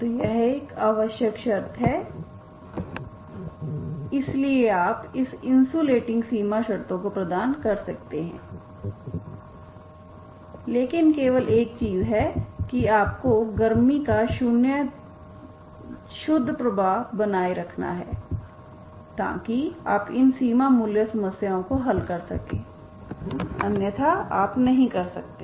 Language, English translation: Hindi, So you can provide these insulating boundary conditions but the only thing is you have to maintain a zero flux, zero net flux of the heat so that you can solve these boundary problem problems